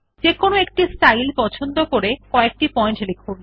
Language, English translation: Bengali, Choose a style and write few points